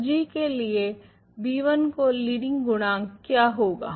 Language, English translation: Hindi, So, what is the leading coefficient of b 1 through of g